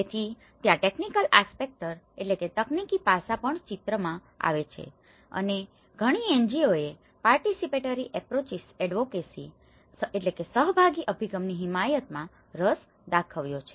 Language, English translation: Gujarati, So, that is where the technical aspects also come into the picture and many NGOs have shown interest in looking at the participatory approaches advocacy